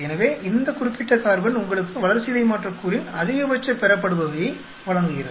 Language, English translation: Tamil, So, this particular carbon gives you the maximum yield of your metabolite